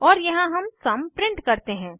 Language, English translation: Hindi, And here we print the sum